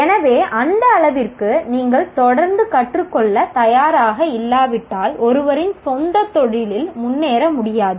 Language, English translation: Tamil, So to that extent, unless you are willing to continuously learn, one may not be able to progress in one's own profession